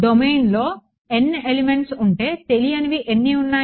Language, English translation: Telugu, If there are n elements in the domain how many unknowns are there